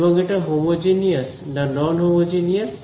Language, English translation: Bengali, And is it homogeneous or non homogeneous